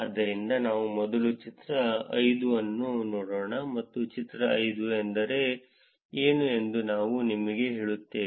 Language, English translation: Kannada, So, let us look at the figure 5, first and I will tell you what the figure 5 all means